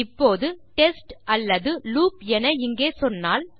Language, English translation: Tamil, Now if I say test or loop here